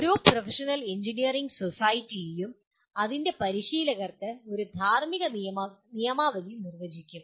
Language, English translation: Malayalam, Every professional engineering society will define a code of ethics for its practitioners